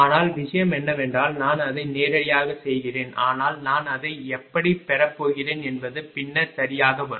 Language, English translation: Tamil, But thing is that directly I am making it, but how I am going getting it I will come later right